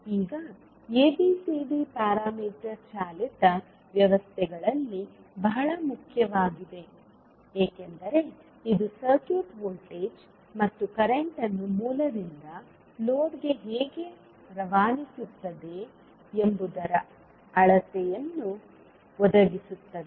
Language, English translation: Kannada, Now ABCD parameter is very important in powered systems because it provides measure of how circuit transmits voltage and current from source to load